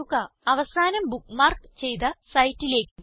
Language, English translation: Malayalam, * Go to the last bookmarked site